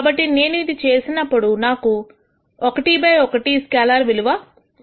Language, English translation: Telugu, So, when I do this I will get one by one which is a scalar